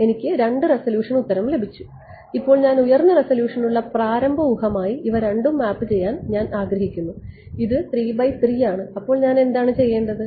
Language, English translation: Malayalam, I have got two resolution answer, now I want to map these two as an initial guess for a higher resolution its a 3 cross 3, then what do I do I have to